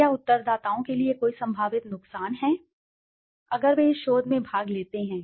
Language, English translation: Hindi, Is there any potential harm for the respondents if they participate in this research